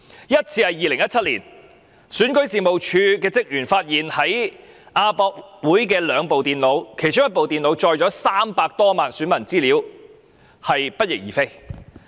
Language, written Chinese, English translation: Cantonese, 首次發生於2017年，選舉事務處職員發現在亞洲國際博覽館有兩部電腦不翼而飛，其中一部載有300多萬選民的資料。, The first occurred in 2017 when REO staff found two computers missing at AsiaWorld - Expo one of which contained data of more than 3 million electors